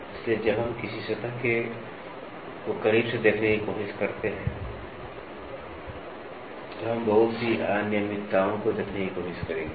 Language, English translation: Hindi, So, when we try to see a surface closely, we will try to see lot of irregularities